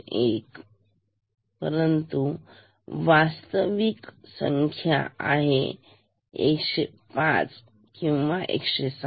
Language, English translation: Marathi, 1, but the actual count will be equal to 105 or 106